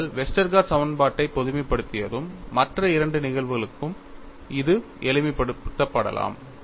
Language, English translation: Tamil, When you have generalized Westergaard equation, it can also be simplified to other two cases, so, that is why it is called generalized Westergaard equation